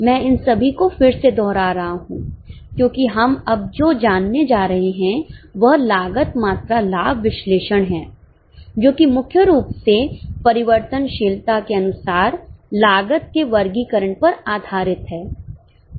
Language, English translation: Hindi, I am repeating all this again because what we are going to learn now that is cost volume profit analysis is mainly based on classification of cost as per variability